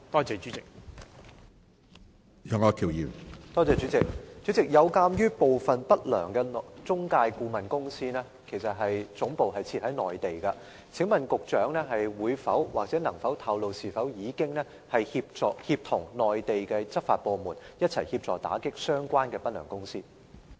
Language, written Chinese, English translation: Cantonese, 主席，鑒於部分不良中介顧問公司的總部設在內地，請問局長可否透露，當局是否已協同內地執法部門一起打擊相關的不良公司？, President as some unscrupulous intermediaries or immigration consultants are Mainland - based can the Secretary reveal to us whether the authorities have coordinated with the relevant law enforcement agencies in the Mainland for taking joint actions against these unscrupulous intermediaries?